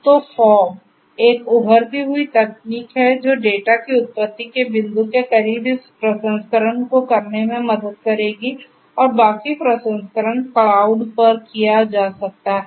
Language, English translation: Hindi, So, fog is an emerging technology which will help to perform some of this processing closer to the point of origination of the data and the rest of the processing can be done at the cloud